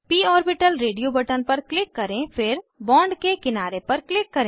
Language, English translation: Hindi, Click on p orbital radio button then click on one edge of the bond